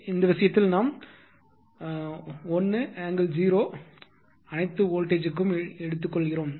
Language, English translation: Tamil, So, in this case we are taking same thing that one angle 0 for all the voltage